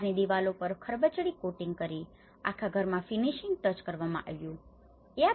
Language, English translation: Gujarati, By rough coating on outside walls and finishing touches applied to the whole house